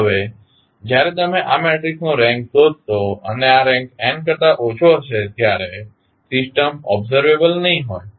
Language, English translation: Gujarati, Now, when you find the rank of this matrix and this rank is less than n, the system is not observable